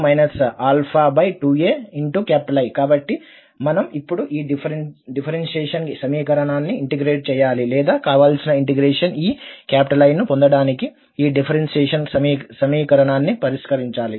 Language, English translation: Telugu, So we need to now differentiate, or integrate this differential equation or solve this differential equation to get this I, the desired integral